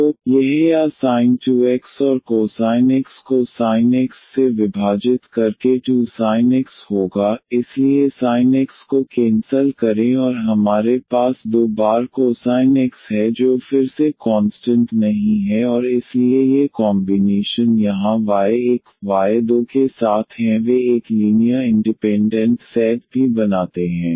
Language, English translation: Hindi, So, this will be sin 2 x over sin x or 2 sin x and cos x divided by sin x, so sin x sin x cancel and we have the 2 times cos x which is again not constant and hence these combination here with y 1 y 2 they also form a linearly independent set